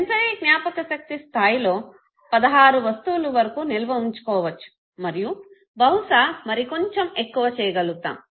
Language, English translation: Telugu, 16 items can be stored at the level of sensory memory okay and probably little more can also be done